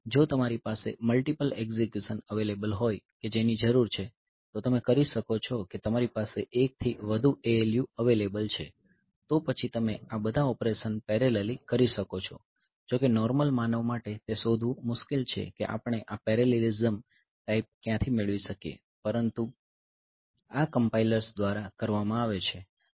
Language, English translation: Gujarati, So, if you have got multiple execution you needs available then you can that is you have got multiple ALU available then you can do all this operations parallelly, though for a normal human being it is difficult to find out where can we find this type of parallelism, but this is done by the compilers